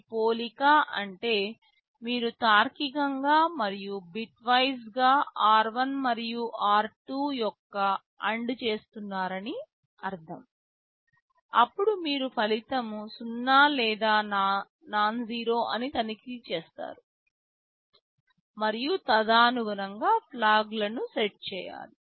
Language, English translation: Telugu, This comparison means you are doing logical and bitwise AND of r1 and r2; then you are checking the result is 0 or nonzero and then accordingly set the flags